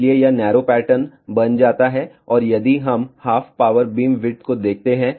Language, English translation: Hindi, Hence, it becomes narrower pattern and if we look at half power beamwidth